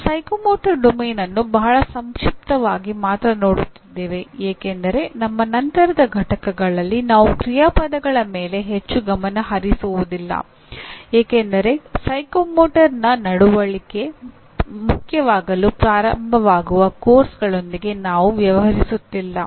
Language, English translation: Kannada, And we are only looking at psychomotor domain very briefly because in our subsequent units we will not be focusing very much on action verbs because we are not dealing with courses where psychomotor behavior starts becoming important